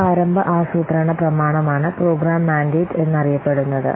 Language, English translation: Malayalam, So this is the initial planning document is known as the program mandate